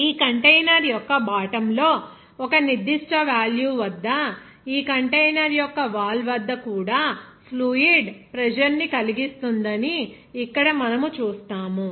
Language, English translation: Telugu, Here you will see that this amount of fluid will exert pressure at the bottom of this container even at its wall of this container at a certain value